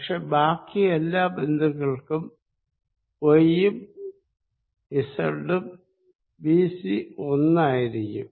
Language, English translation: Malayalam, But, all other the points they have the same, all the points have same y and z b c